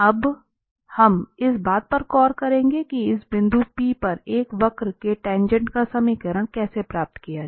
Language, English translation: Hindi, Now, we will look into that how to get the tangent, the equation of the tangent of a curve at a point P